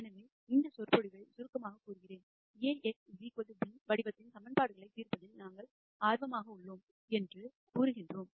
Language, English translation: Tamil, So, let me summarize this lecture, we said we are interested in solving equations of the form A x equal to b